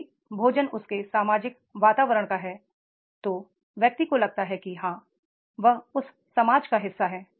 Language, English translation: Hindi, If the food is there of the social environment, the person feels that is yes, he is the part of that society